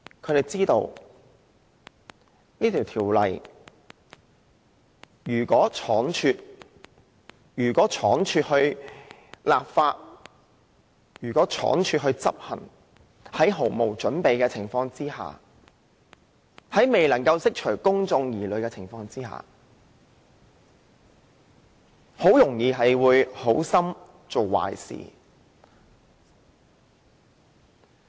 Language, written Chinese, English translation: Cantonese, 他們知道如果此修訂規例倉卒通過執行，在毫無準備的情況下，在未能釋除公眾疑慮的情況下，政府很容易"好心做壞事"。, They know that if this Amendment Regulation is hastily passed and implemented with no preparation while failing to dispel public misgivings the Government is likely to do a disservice despite its good intentions